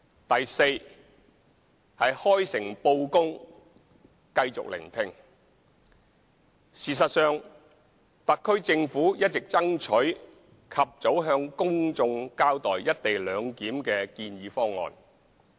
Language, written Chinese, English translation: Cantonese, d 開誠布公繼續聆聽事實上，特區政府一直爭取及早向公眾交代"一地兩檢"的建議方案。, d Frank and open disclosure and continued listening In fact the SAR Government has sought to explain the proposed co - location arrangement to the public at the earliest opportunity